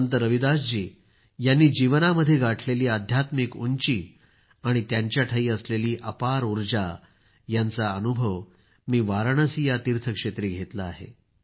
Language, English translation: Marathi, I have experienced the spiritual loftiness of Sant Ravidas ji's life and his energy at the pilgrimage site